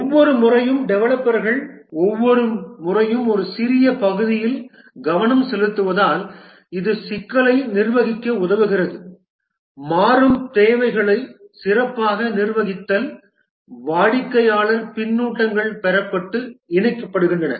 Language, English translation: Tamil, And since each time the developers focus each time on a small part, it helps in managing complexity, better manage changing requirements, customer feedbacks are obtained and incorporated